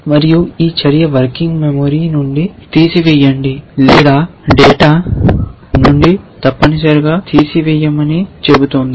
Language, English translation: Telugu, And this action is saying that, remove that from the working memory or remove that from data essentially